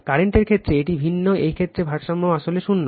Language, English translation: Bengali, In the case of current, it is different in this case the balance is actually zero right